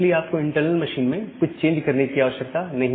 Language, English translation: Hindi, So, you do not need to make a change into the internal machine